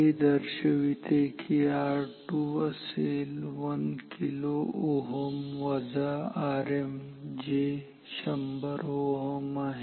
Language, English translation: Marathi, This will imply R 3 equals 1 kilo ohm minus R m which is 100 ohm